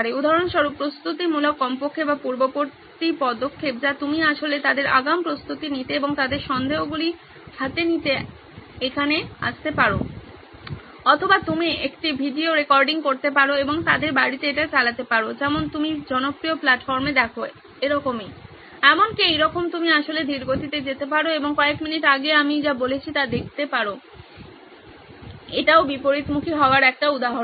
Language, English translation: Bengali, Like for example, the preparative at least or prior action you can actually ask them to prepare in advance and come here to clear their doubts in hand or you could do a video recording and make them play it at home like you see in popular platforms like, even like this you can actually slow down go reverse and see what I have spoken few minutes ago, this is also an example of reversal